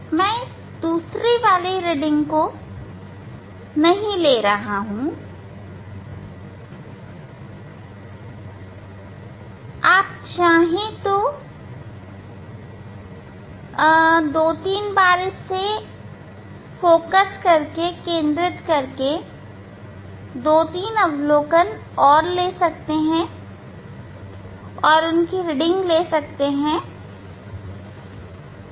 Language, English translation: Hindi, I am not taking another you should take two three observation try to focus two three times and take the reading